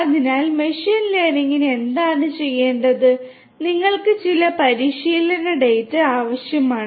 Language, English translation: Malayalam, So, for machine learning what has to be done is that you need some kind of training data